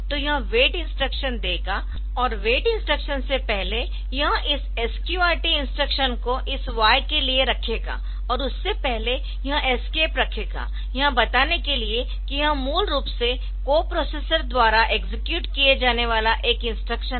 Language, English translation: Hindi, And before that it will put this SQRT instruction for this y and put an escape before that; to tell that this is basically an instruction to be executed by the co processor